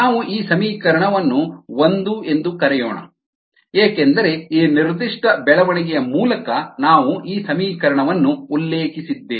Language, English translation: Kannada, let us call this equation one, because we are going to refer to this equation through this particular development and the flux needs to be the same